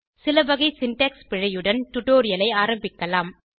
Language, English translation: Tamil, Lets begin the tutorial with some types of syntax errors